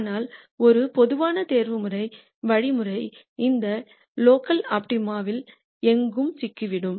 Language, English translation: Tamil, But a typical optimization algorithm would get stuck anywhere in any of these local optima